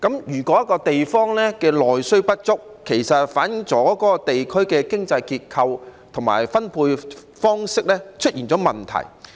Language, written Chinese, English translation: Cantonese, 如果一個地方內需不足，便反映出其經濟結構和分配方式出現問題。, If a place has insufficient domestic demand this reflects that there are problems with its economic structure and distribution pattern